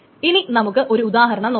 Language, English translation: Malayalam, Now let us see an example of what needs to be